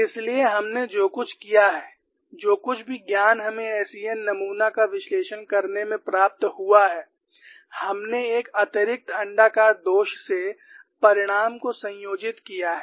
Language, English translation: Hindi, So, what we have done is, whatever the knowledge that we have gained in analyzing SEN specimen, we have extrapolated, combined the result from an embedded elliptical flaw